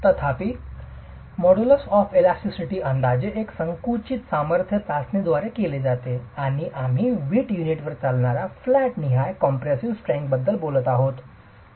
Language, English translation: Marathi, However, the modulus of elasticity is estimated through a compressive strength test and we were talking about a flatwise compressive strength test that is carried out on brick units